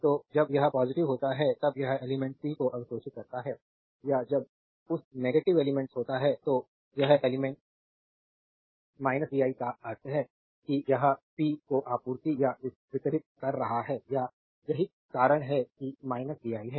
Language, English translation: Hindi, So, when it is positive then it is element is absorbing power when it is negative element this element minus vi means it is supplying or delivering power right that is why it is minus vi